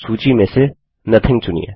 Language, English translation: Hindi, Select Nothing from the list